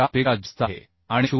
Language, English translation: Marathi, 4 and as it is more than 0